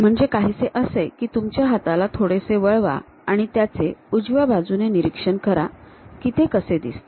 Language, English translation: Marathi, So, something like you have a hand, slightly turn observe it from right hand side how it really looks like